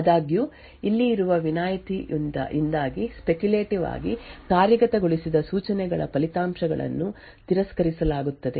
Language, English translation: Kannada, However, due to the exception that is present over here the results of the speculatively executed instructions would be discarded